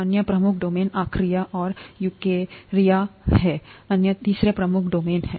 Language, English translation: Hindi, The other major domain is archaea, and eukarya, is the other, the third major domain